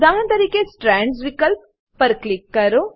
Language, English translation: Gujarati, For example click on Strands option